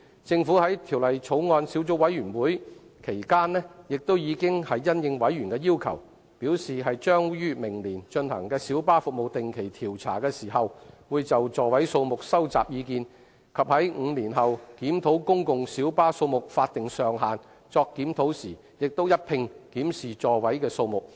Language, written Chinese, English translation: Cantonese, 政府在法案委員會期間亦已因應委員的要求，表示於明年進行小巴服務定期調查時，會就座位數目收集意見，以及在5年後檢討公共小巴數目法定上限時，一併檢視座位數目。, During the course of scrutiny at the Bills Committee the Government has at the request of members indicated that it would collect feedback on the seating capacity when conducting a regular survey on light bus services next year and it would also review the number of seats when conducting a review over the statutory limit on the number of PLBs in five years time